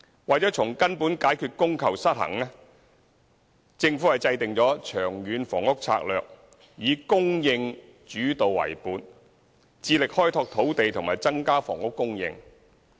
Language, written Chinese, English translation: Cantonese, 為了從根本解決供求失衡，政府制訂《長遠房屋策略》，以"供應主導"為本，致力開拓土地和增加房屋供應。, To solve the demand - supply imbalance at root the Government has formulated the supply - led Long Term Housing Strategy dedicated to developing and increasing housing sites